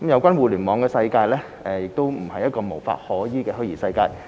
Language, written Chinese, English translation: Cantonese, 二互聯網的世界並不是一個無法可依的虛擬世界。, 2 The Internet is not an unreal world that is beyond the law